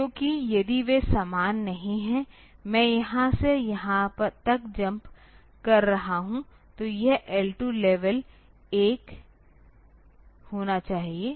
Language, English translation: Hindi, Because if they are not same; I am jumping from here to here, so this level should be L 2